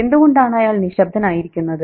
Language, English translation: Malayalam, Why is he quiet